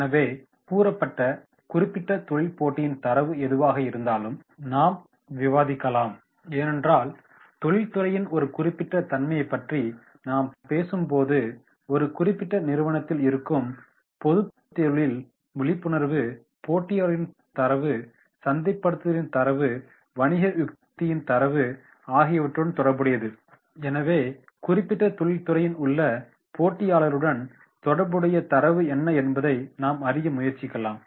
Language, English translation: Tamil, So stated industry, so whatever the data is there in this particular competition that we will discuss because when we are talking about a particular nature of industry then we have to also see that if we are talking about a particular company then, General industry awareness with the competitors data, it is related to the marketing data, business strategy data and therefore we will find out that is what type of data related to the competitors in the stated industry